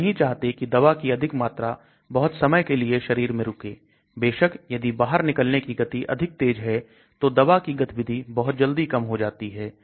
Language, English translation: Hindi, We do not want too much of drug staying into the body for a very long time and of course if the elimination is very fast